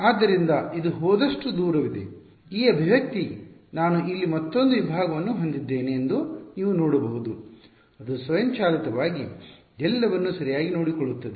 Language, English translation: Kannada, So, this is pretty much as far as this goes, this expression as you can see supposing I have another segment over here, it automatically takes care of everything right